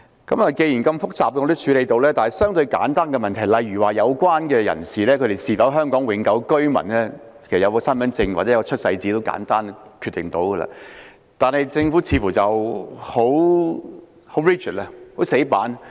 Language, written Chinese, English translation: Cantonese, 不過，既然如此複雜的問題也能處理，那麼相對地簡單的問題，例如申請人是否香港永久性居民，其實只要有身份證或出世紙便能夠決定，但政府卻似乎很死板。, Since the Government can handle such complicated problems it is seemingly too rigid in dealing with relatively simple matters such as whether an applicant is a Hong Kong permanent resident which can in fact be decided upon the production of identity card or birth certificate